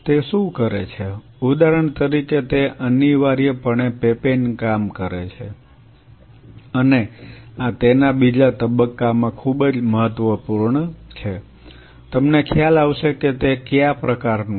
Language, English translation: Gujarati, What it does it essentially the whip papain works is that say for example, and this is this will very important in the phase 2 of it you will realize why I am kind of